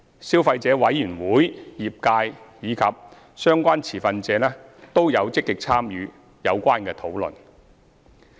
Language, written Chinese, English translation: Cantonese, 消費者委員會、業界及相關持份者均有積極參與有關討論。, The Consumer Council CC the trade and relevant stakeholders have actively participated in the discussions